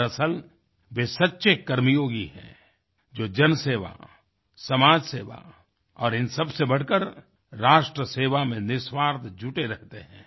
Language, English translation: Hindi, In reality they are true 'Karmyogis,' who are selflessly engaged in public service, social service and, above all, in the service to the nation